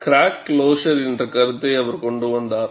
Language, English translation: Tamil, He brought out a concept called crack closure